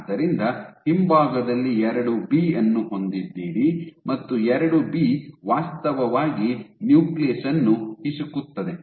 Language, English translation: Kannada, So, you have II B at the rear, and what this is doing II B is actually squeezing the nucleus ok